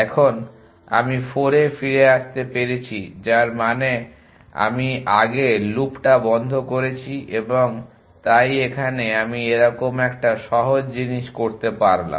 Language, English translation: Bengali, Now, I able to came back 4 which means I close the loop earlier and so I come do a simple thing like that